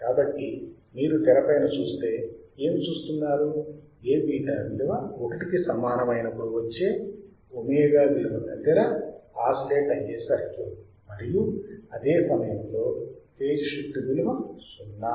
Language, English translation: Telugu, So, if you see the screen what we see that the frequency at which the circuit will oscillate is a value of omega for which A beta equals to 1, and phase shift is 0 at the same time